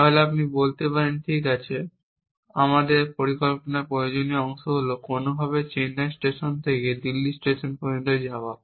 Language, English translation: Bengali, You will say that somewhere in my plan, there must be this action of catching a train from Chennai to Delhi